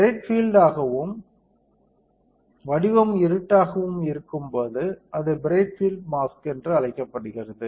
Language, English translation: Tamil, When the field is bright and the pattern is dark, is called bright field mask